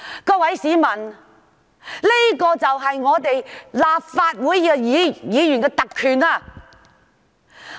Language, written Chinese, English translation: Cantonese, 各位市民，這就是立法會議員的特權。, Dear citizens this is the prerogative of Members of the Legislative Council